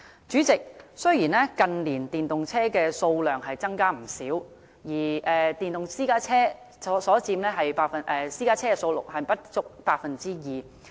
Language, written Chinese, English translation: Cantonese, 主席，雖然近年電動車的數量增加不少，但電動私家車佔私家車數量仍不足 2%。, President although EVs have considerably increased in number in recent years electric private cars still account for less than 2 % of the total number of private cars